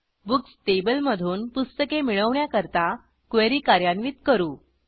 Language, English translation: Marathi, We execute query to fetch books from Books table